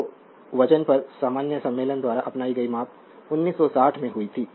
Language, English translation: Hindi, So, adopted by the general conference on weights are measured that was in 1960